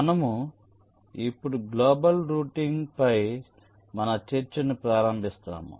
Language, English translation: Telugu, shall now start our discussion on global routing